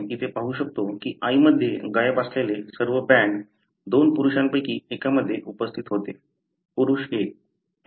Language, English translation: Marathi, So, you can see here all the bands that were missing in the mother, were present in one of the two males, male number 1